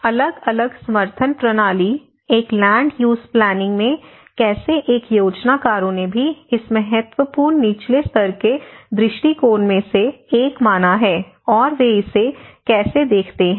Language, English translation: Hindi, So, how different support systems, how at a land use planning how a planners also considered this as one of the important bottom level approach and how they look at it